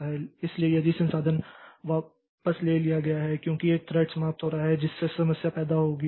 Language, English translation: Hindi, So, if the resource is taken back because a thread is terminating so that will create problem